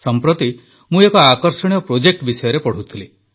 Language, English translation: Odia, Recently I was reading about an interesting project